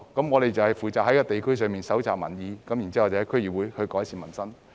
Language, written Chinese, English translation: Cantonese, 我們負責在地區蒐集民意，然後透過區議會改善民生。, We are responsible for gauging public opinions in the district and subsequently improving peoples livelihood through DC